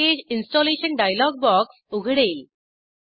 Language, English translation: Marathi, A Package Installation dialog box will open